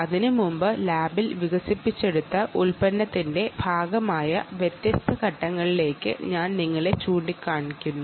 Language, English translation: Malayalam, but before that let me point you to different elements, which is part of the product that was developed in the lab